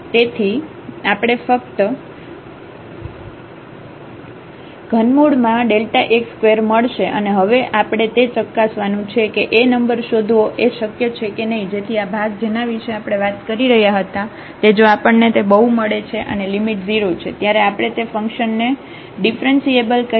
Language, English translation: Gujarati, So, we will get only the cube root of delta x square and now we will check whether it is possible to find a number A such that this quotient here which we have just talked, that if we can get this quotient and the limit is 0 then we call the function is differentiable